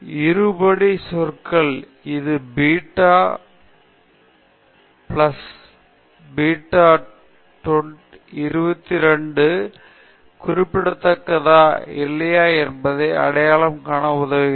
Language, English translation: Tamil, The quadratic terms, it helps to identify whether that beta 11 plus beta 22 is significant or not